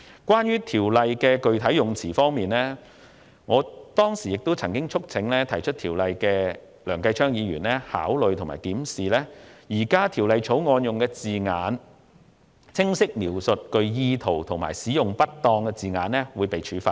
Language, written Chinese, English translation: Cantonese, 關於《條例草案》的具體用詞，我當時曾促請提出《條例草案》的梁繼昌議員，考慮和檢視現行《條例草案》的字眼，釐清只有在具誤導意圖使用不當稱謂的情況下才會構成罪行。, Regarding the specific wordings of the Bill I urged the mover of the Bill Mr Kenneth LEUNG to consider and review the existing Bill and clarified that the use of an improper description would only constitute a crime if there was an intention to mislead others